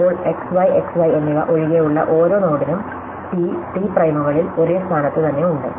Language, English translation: Malayalam, Now, for every node other than the x, y and x y, there are exactly at the same position in T and T primes